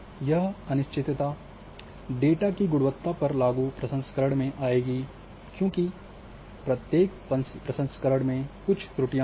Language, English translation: Hindi, So, that uncertainty will come in the quality of processing applied to the data because each processing will might or might bring certain errors